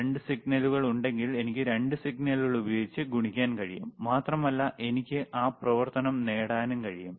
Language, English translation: Malayalam, ifIf there are 2 signals, I can use 2 signals to multiply, and I can get that function